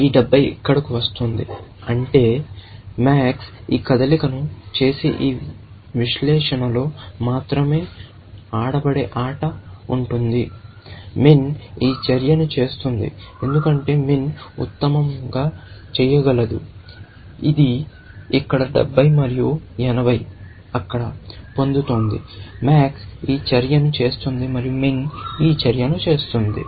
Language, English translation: Telugu, This 70 is coming here; which means that the game that will be played, if only on this analysis; would be that max would make this move; min would make this move, because that is what min can do best; it is getting 70 here, and 80 there; max would make this move, and min would make this move